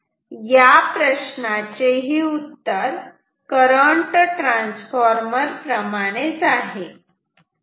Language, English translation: Marathi, So, what do we, how do you use a current transformer